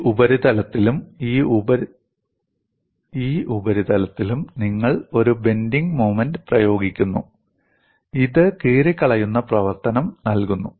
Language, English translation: Malayalam, You apply a bending moment on this surface and this surface, and it provides a tearing action